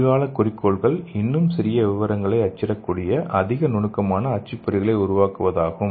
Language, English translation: Tamil, So these are the future goals, the first one is developing more refined printers so which can print even smaller details